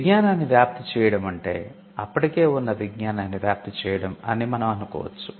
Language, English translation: Telugu, A disseminate the knowledge, we can assume that disseminate the knowledge that is already there